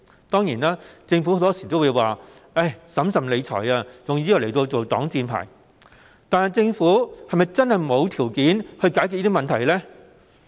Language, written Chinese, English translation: Cantonese, 當然，政府很多時候會以"審慎理財"作擋箭牌，但是否真的沒有條件解決上述問題呢？, Certainly the Government very often uses fiscal prudence as an excuse; but is it true that the Government does not have the means to solve the aforementioned problems?